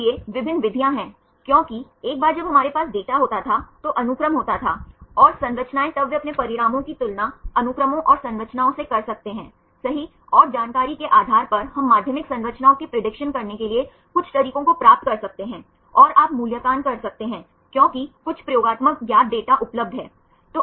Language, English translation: Hindi, So, there are various methods because once we have the data there was sequence, and the structures then they can compare their results right sequences and the structures and based on the information we can derive some methods to predict the secondary structures, and you can evaluate because there is some experimental known data are available